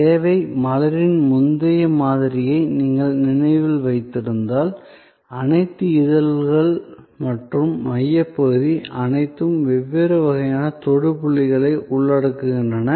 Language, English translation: Tamil, So, if you remember the earlier model of the service flower, all the petals and the core, they all embody different sort of touch points